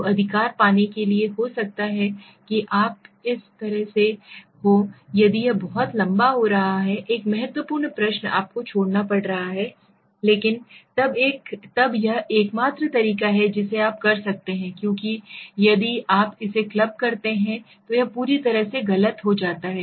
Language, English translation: Hindi, So to get the right maybe you have you have been this is such an important question you might have to skip another question if it is getting too long, but then this is the only way you can do it because if you club it then it is becoming completely wrong error